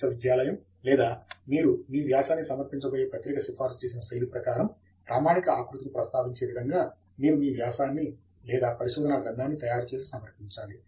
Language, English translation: Telugu, The style of referencing will be customized as per the standard format recommended by the university or the journal where you are going to submit your article